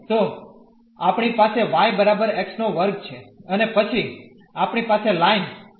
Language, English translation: Gujarati, So, we have y is equal to x square and then we have the line